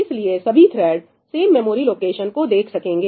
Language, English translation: Hindi, So, all the threads get to see the same memory location